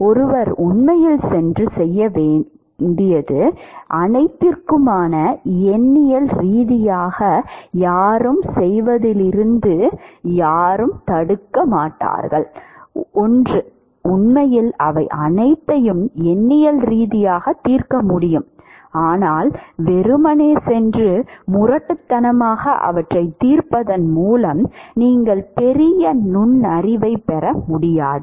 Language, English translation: Tamil, One could actually go and do is for all this numerically no one stops anyone from doing that 1 could actually solve them all numerically, but you do not get any major insight by simply going and brute force solving them